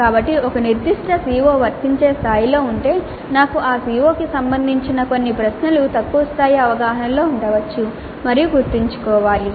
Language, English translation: Telugu, So if a particular CO is at apply level, I may have certain questions related to the CO at lower levels of understand and remember